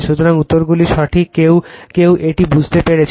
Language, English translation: Bengali, So, answers are correct , some of you have understood this right